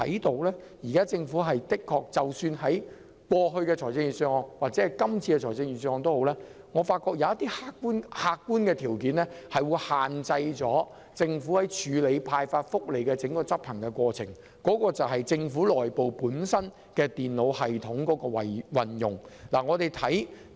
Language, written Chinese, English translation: Cantonese, 然而，就過去及今年的預算案而言，我發覺有一個客觀條件，限制了政府執行發放福利的整個過程，即政府內部電腦系統的運用。, However in respect of previous and this years budgets my objective observation is that the entire process of handing out welfare benefits has been impeded by the Governments internal computer system